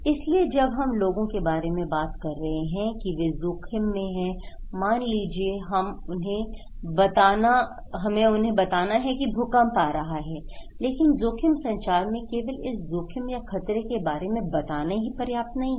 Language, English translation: Hindi, So, when we are talking about people that you are at risk, suppose we are telling them that there is an earthquake but a risk communication, only they tell about this risk or hazard, this is not enough